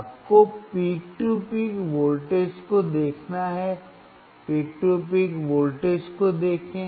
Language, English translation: Hindi, You have to see the peak to peak voltage, look at the peak to peak voltage